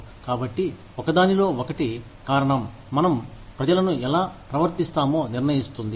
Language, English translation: Telugu, So, at to in one, the cause is determining, how we treat people